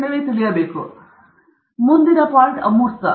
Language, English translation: Kannada, Now, the next point here is the abstract